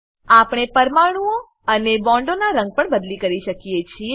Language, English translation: Gujarati, We can also change the colour of atoms and bonds